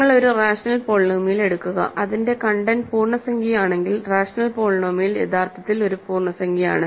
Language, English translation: Malayalam, So, if you take a rational polynomial find its content, if that content happens to be integer then the rational polynomial is actually an integer